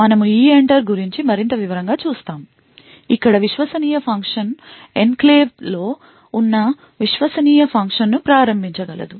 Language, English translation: Telugu, So, we look more in detail about EENTER where untrusted function could invoke a trusted function which present in the enclave